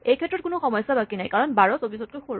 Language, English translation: Assamese, In this case, there is no problem 12 is smaller than 24